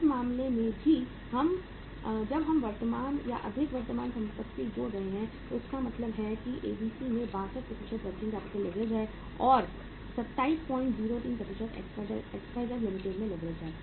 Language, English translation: Hindi, In this case also when we are adding up the more current assets so it means the 62% is the working capital leverage in ABC and 27